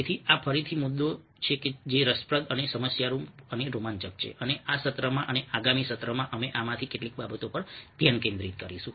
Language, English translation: Gujarati, so these are again issues, ah, which have interesting, problematic, exciting, and in this session and the next session we will be focusing on some of these aspects of things